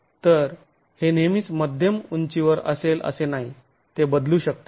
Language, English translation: Marathi, So it is not always going to be at middle, at the mid height